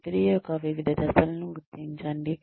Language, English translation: Telugu, Demarcate different steps of the process